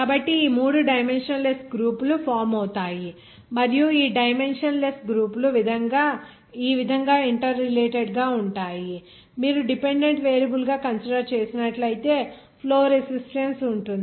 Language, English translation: Telugu, So these 3 dimensionless groups are formed and these dimensionless groups are interrelated like this any suppose if you considering as that dependant variable are there is flow resistance